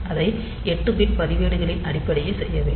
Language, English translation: Tamil, So, we have to do it in terms of 8 bit registers